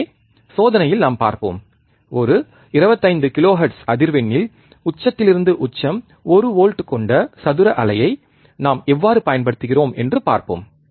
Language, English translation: Tamil, So, we will see in the experiment, how we are applying one volt peak to peak square wave, at a frequency of 25 kilohertz